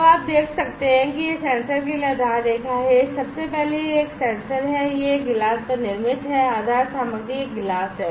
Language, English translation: Hindi, So, now you can see this is the base line the for this sensor first of all this is a sensor, this is fabricated on a glass, the base material is a glass